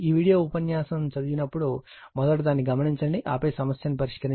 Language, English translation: Telugu, When you read this video lecture, first you note it down right, then you solve the problem